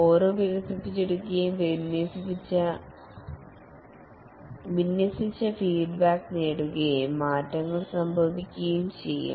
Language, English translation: Malayalam, Each increment is developed, deployed, feedback obtained and changes can happen